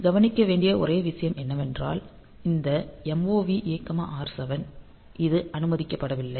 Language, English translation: Tamil, Only thing to note is that this MOV A comma R7; so, this is not allowed in